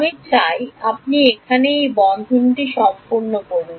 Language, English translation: Bengali, I want you to complete this bracket over here